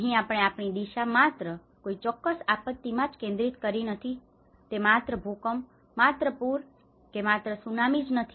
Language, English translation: Gujarati, Here we have moved our dimension not just only focusing on a particular type of a disaster, it is not just only earthquake, it is not only by a drought, it is not by only tsunami